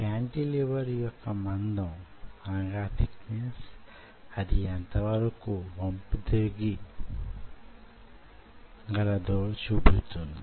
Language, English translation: Telugu, now, thickness of the cantilever decides how much flexing it will show